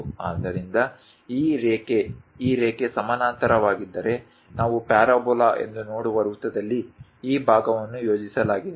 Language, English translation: Kannada, So, this line, this line if it is parallel; the projected one this part in a circle we see as a parabola